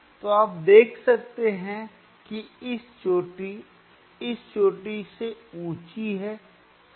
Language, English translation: Hindi, So, you can see this peak is higher than the this peak right